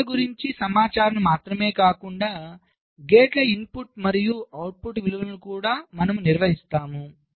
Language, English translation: Telugu, here we maintain not only information about the faults but also the input and output values of the gates